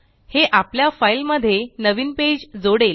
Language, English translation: Marathi, This will add a new page to our file